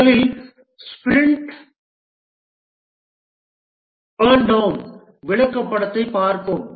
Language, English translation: Tamil, First let's look at the sprint burn down chart